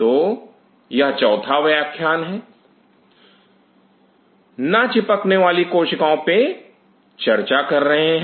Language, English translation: Hindi, So, this is a fourth lecture and talking about non adhering cells